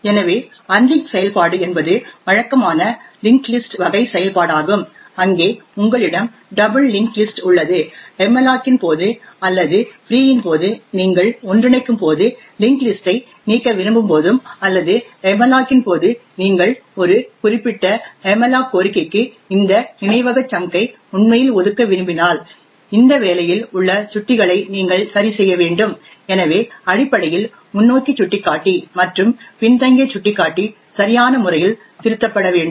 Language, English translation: Tamil, list type of operation where do you have a double linked list and during the malloc or during the free when you want to remove a linked list during coalescing or during malloc when you actually want to allocate this chunk of memory to a particular malloc request you will have to adjust the pointers present in this job, so essentially the forward pointer and the backward pointer should be appropriately corrected